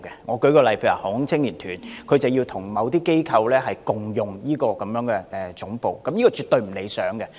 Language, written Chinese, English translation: Cantonese, 我舉一個例子，例如香港航空青年團需要跟某些機構共用總部，這情況絕對不理想。, Let me cite an example the Hong Kong Air Cadet Corps has to share the headquarters with certain organizations which is not desirable at all